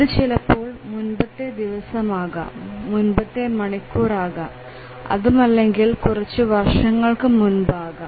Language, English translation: Malayalam, It could have been entered the previous day, previous hour or may be several years back